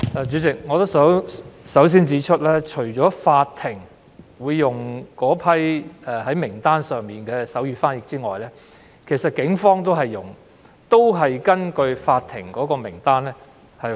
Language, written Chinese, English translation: Cantonese, 主席，我首先指出，除法庭會使用該份名單上的手語傳譯員外，警方也會根據名單聘用手語傳譯員。, President first of all I would like to point out that the register of sign language interpreters is being used not only by the courts as the Police will also engage sign language interpreters on the register